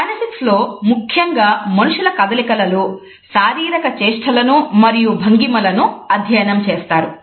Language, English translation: Telugu, Kinesics studies body gestures and postures in the movement of the people particularly